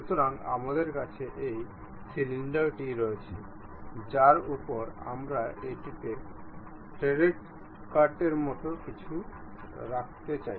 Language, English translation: Bengali, So, we have this cylinder on which we would like to have something like a threaded cut on it